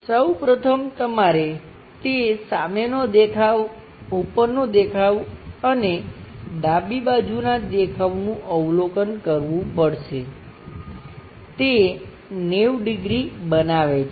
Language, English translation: Gujarati, The first thing what you have to observe front view, top view and left side view, they make 90 degrees thing